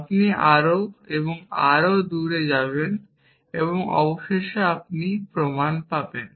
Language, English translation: Bengali, You will go further and further away and eventually you will find the proof